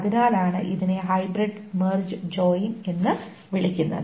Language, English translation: Malayalam, So that is why it is called a hybrid merge joint